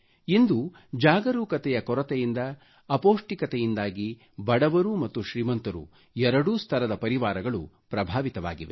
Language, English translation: Kannada, Today, due to lack of awareness, both poor and affluent families are affected by malnutrition